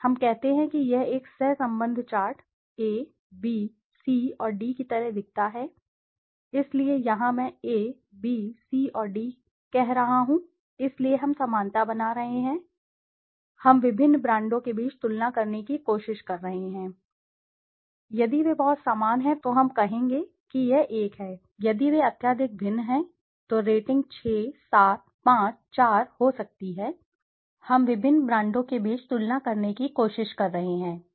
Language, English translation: Hindi, Let us say it looks like a correlation chart, A, B, C and D, so here what I am saying A, B, C and D so we are making similarities, we are trying to compare between the different various brands on basis of similarity